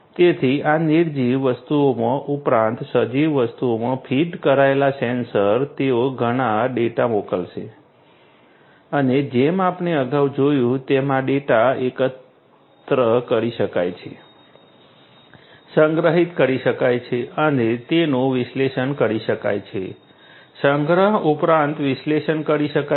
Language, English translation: Gujarati, So, these all these sensors from these nonliving things plus the sensors fitted to these living things they are going to send lot of data and as we have seen previously this data can be collected, stored and analyzed, storage plus analyzed in order to gain insights about what is going on right